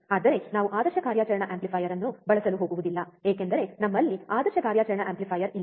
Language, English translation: Kannada, But we are not going to use an ideal operational amplifier, because we do not have ideal operational amplifier